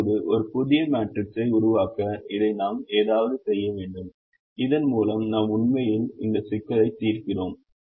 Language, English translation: Tamil, now we have to do something with this to generate a new matrix with which we will actually be solving this problem